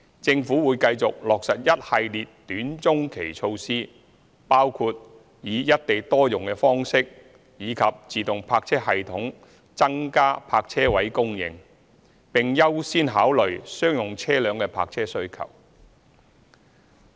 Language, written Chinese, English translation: Cantonese, 政府會繼續落實一系列短中期措施，包括以"一地多用"的方式及自動泊車系統增加泊車位供應，並優先考慮商用車輛的泊車需求。, The Government will continue to implement a series of short - and medium - term measures such as single site multiple use and automated parking systems to increase the provision of parking spaces . Priority will be accorded to the parking demand of commercial vehicles